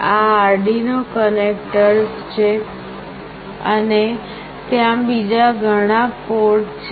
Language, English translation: Gujarati, These are the Arduino connectors and there are many other ports